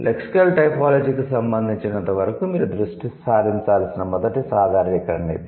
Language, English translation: Telugu, So that's the first generalization that you need to focus on as far as lexical typologies consent, right